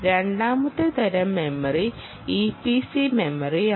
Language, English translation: Malayalam, the second type of memory is the e p c memory